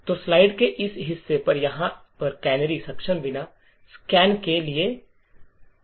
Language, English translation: Hindi, So, over here on this part of the slide shows the assembly code for scan without canaries enabled